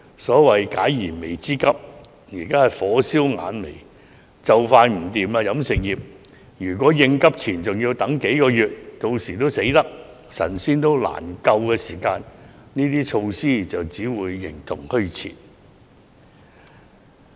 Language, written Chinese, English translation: Cantonese, 所謂解燃眉之急，現在是火燒眼眉，飲食業店鋪就快不行，如果應急錢還要等幾個月，到店鋪快倒閉、神仙也難救時，有關措施只會形同虛設。, Speaking of addressing a pressing need the situation is very critical as many restaurants are about to close down . If we still have to wait several months for relief fund the relevant measures will exist in name only as closure of restaurants are irreversible